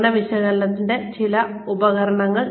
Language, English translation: Malayalam, Some tools of performance analysis